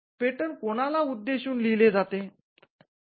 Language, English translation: Marathi, To whom is the patent address to